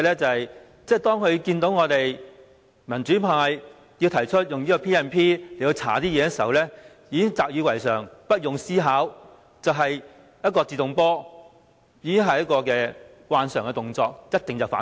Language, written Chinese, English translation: Cantonese, 當政府看到民主派提出引用《權力及特權條例》調查事件時，便習以為常，不用思考，"自動波"，慣常動作一定是先反對。, As soon as the democratic camp proposes to invoke the Ordinance to investigate this incident the Government automatically raises objection as a reflex action without doing any thinking